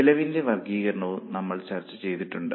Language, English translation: Malayalam, We had also discussed classification of costs